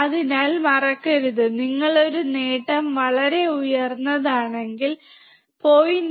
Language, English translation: Malayalam, So, do not forget, if you set a gain extremely high, then even 0